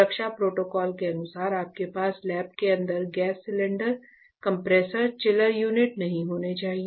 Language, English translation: Hindi, As per safety protocol you should not have gas cylinders, compressors, chiller units etcetera inside the lab